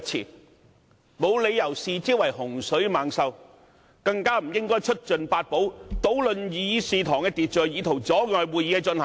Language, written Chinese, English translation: Cantonese, 我們沒有理由視之為洪水猛獸，更加不應出盡法寶，搗亂議事堂的秩序以圖阻礙會議的進行。, There is no reason why we should take such amendments as some great scourges let alone trying to hinder the progress of the meeting by resorting to every possible means to disrupt the order in the Chamber